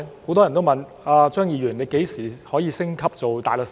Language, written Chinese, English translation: Cantonese, 很多人都問："張議員，你何時可以升級做大律師？, Many people ask Mr CHEUNG when can you be promoted to barrister?